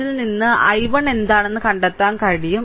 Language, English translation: Malayalam, So, from that we can find out what is i 1